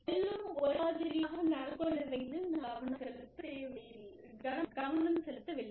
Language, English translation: Tamil, We are not aiming at, making everybody, behave the same way